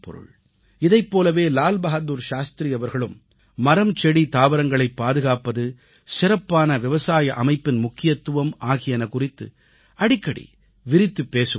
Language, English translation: Tamil, Similarly, Lal Bahadur Shastriji generally insisted on conservation of trees, plants and vegetation and also highlighted the importance of an improvised agricultural infrastructure